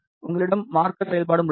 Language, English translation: Tamil, You also have a marker functionality